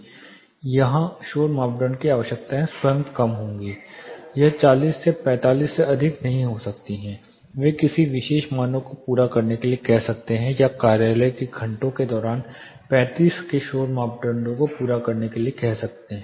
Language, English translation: Hindi, Here the noise criteria requirement itself would be lower; it may not be as higher as 40 or 45 a particular standard might ask you to meet noise criteria of say 35 during the office hours